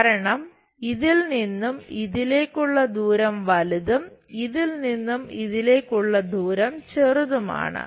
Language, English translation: Malayalam, Because, this length to this is larger length this to this shorter length